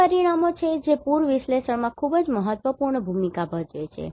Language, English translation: Gujarati, So, these are the parameters which plays very critical role in Flood analysis